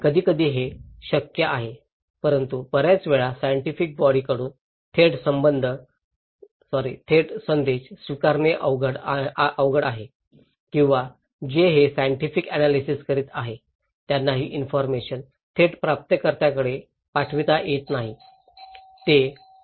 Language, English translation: Marathi, Sometimes, is possible but most of the time it is difficult to send directly the message from the scientific body to the receivers or that those who are doing these scientific analysis they cannot also pass these informations to the receiver directly